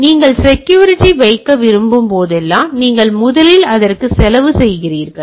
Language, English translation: Tamil, So, whenever you want to put security, you are first of all putting more cost on it